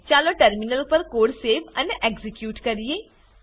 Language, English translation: Gujarati, Lets save the code and execute it on the terminal